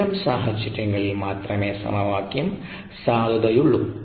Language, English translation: Malayalam, ok, only under those conditions will the equation be valid